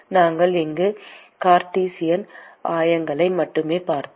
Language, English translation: Tamil, We looked only at Cartesian coordinates here